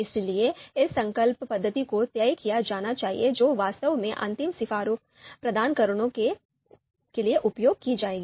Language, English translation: Hindi, So this resolution method has to be decided which will actually finally we use to provide the final recommendation